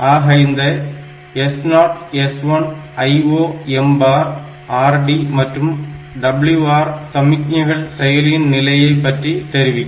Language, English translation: Tamil, So, this S 0 S 1 and this I O M bar read bar right bar this signal so, they tell about the status of the processor